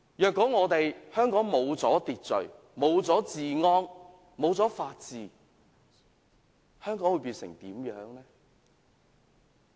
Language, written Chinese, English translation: Cantonese, 如果香港失去秩序，失去治安，失去法治，會變成怎樣？, If order law and order and the rule of law disappear in Hong Kong what will happen?